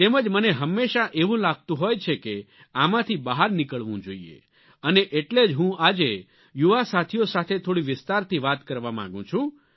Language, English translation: Gujarati, And I have always felt that we should come out of this situation and, therefore, today I want to talk in some detail with my young friends